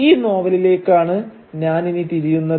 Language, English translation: Malayalam, And it is to this novel that I will now turn